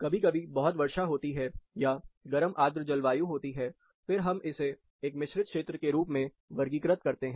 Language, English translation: Hindi, Sometimes, it is too rainy as warm humid climates, then, we classify it as a composite zone